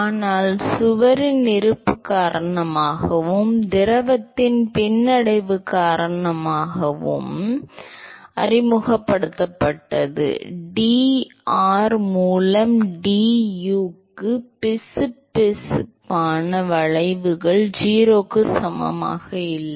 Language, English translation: Tamil, But what has been introduced because of the presence of the wall and because of the retardation of the fluid, because of the viscous effects to du by dr is not equal to 0